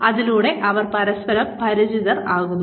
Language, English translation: Malayalam, They become familiar with each other